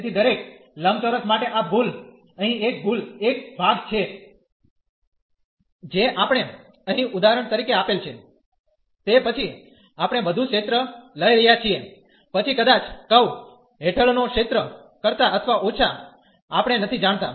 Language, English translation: Gujarati, So, this error for in each rectangle there is a error part here, which we are for example here we are taking more area then the area under the curve perhaps or the less we do not know